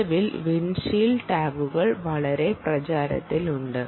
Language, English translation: Malayalam, currently, windshield tags are become very popular